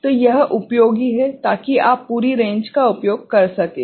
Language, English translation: Hindi, So, this is useful, so that you can utilise the entire range